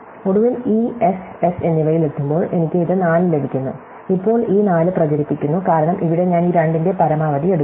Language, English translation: Malayalam, And finally, when I reach this S and S, I get this 4 and now, this 4 propagates, because here I take the max of these 2